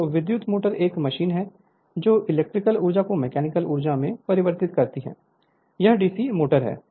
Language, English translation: Hindi, So, electric motor is a machine which converts electrical energy into mechanical energy, this is DC motor